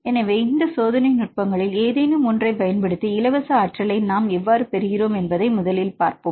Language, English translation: Tamil, So, let us see first how we get the experimental free energy using any of these techniques right here